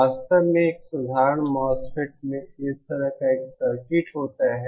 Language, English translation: Hindi, In fact, a simple MOSFET has a circuit like this